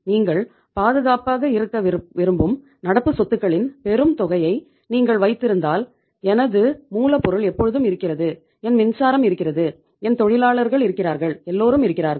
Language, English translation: Tamil, If you are keeping huge amount of current assets that you want to remain safe, that my raw material is always there, my power is there, my workers are there, everybody is there